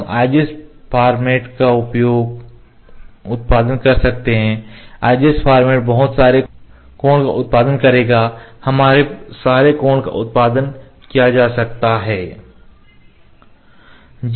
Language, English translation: Hindi, We can we will produce IGS format would produce a lot of codes a lot of codes can be produced